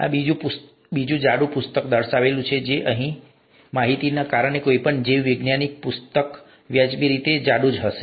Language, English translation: Gujarati, This is another thick book, and any biology book would be a reasonably thick book because of the information that is available now